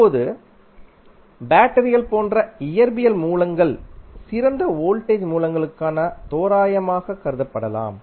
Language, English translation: Tamil, Now, physical sources such as batteries maybe regarded as approximation to the ideal voltage sources